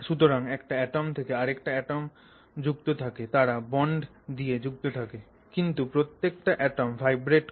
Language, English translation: Bengali, So, atom to atom they are connected, they are all connected by bonds but each of the atoms is vibrating